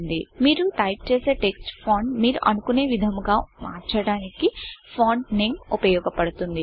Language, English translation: Telugu, Font Name is used to select and change the type of font you wish to type your text in